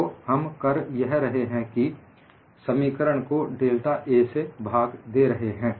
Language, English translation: Hindi, So, what we do is, we divide the equation by delta A